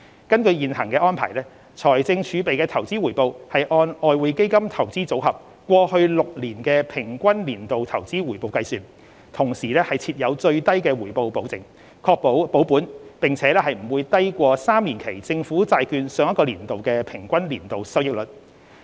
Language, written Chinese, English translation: Cantonese, 根據現行安排，財政儲備的投資回報按外匯基金"投資組合"過去6年的平均年度投資回報計算，同時設有最低回報保證，確保保本並且不會低於3年期政府債券上一個年度的平均年度收益率。, Under the existing arrangements the investment return of the fiscal reserves is calculated based on the average annual rate of return of the EFs Investment Portfolio for the past six years . There is also a guaranteed minimum return to ensure capital preservation and that the investment return in any year will not be lower than the average annual yield of three - year Government Bond for the previous year